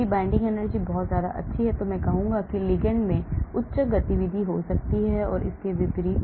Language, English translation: Hindi, If the binding energy is very good, I will say the ligand may have high activity and vice versa